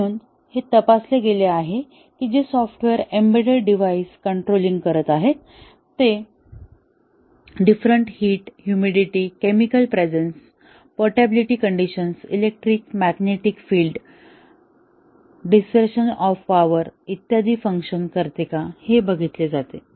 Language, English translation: Marathi, So, here it is checked whether the software which is may be controlling an embedded device, does it work on the different heat, humidity, chemical presence, portability conditions, electric, magnetic fields, disruption of power, etcetera